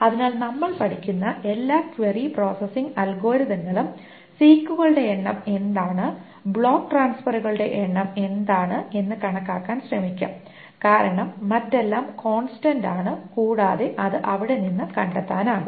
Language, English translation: Malayalam, So, all of the query processing algorithms that we will study will try to estimate what is the number of six and what is the number of block transfers because everything else is a constant and can be figured out